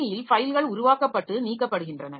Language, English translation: Tamil, So, files are getting created and deleted from the system